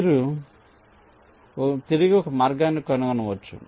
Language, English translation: Telugu, you can trace back and find a path